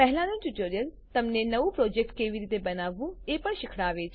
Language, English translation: Gujarati, The previous tutorial also teaches you how to create a new project